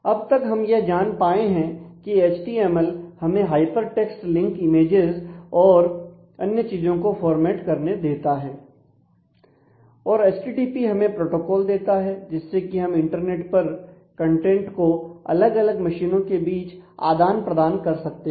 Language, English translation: Hindi, So, we know by now that http HTML provides the formatting the hyper text links images and so, on and http provides the protocol through which the contents are exchanged between different machines in the internet